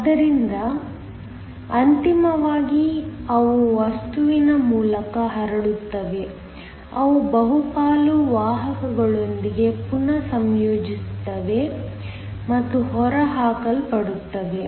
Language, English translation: Kannada, So, ultimately they will diffuse through the material, they will recombine with the majority carriers and get eliminated